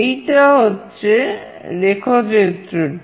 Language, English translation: Bengali, This is the circuit diagram